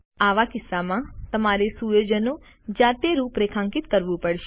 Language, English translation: Gujarati, In such a case, you must configure the settings manually